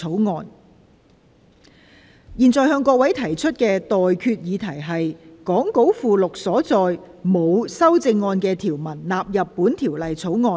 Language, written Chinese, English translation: Cantonese, 我現在向各位提出的待決議題是：講稿附錄所載沒有修正案的條文納入本條例草案。, I now put the question to you and that is That the clauses with no amendment as set out in the Appendix to the Script stand part of the Bill